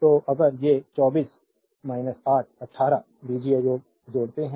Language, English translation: Hindi, So, if you add these 24 minus 8 18 algebraic sum